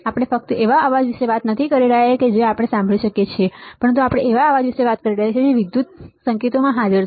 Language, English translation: Gujarati, We are not talking about just a noise that we can hear, but noise that are present in the electrical signals